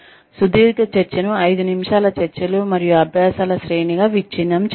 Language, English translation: Telugu, Break a long talk in to series of five minute talks, and practice